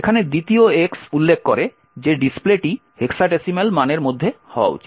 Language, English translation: Bengali, The second x over here specifies that the display should be in hexa decimal values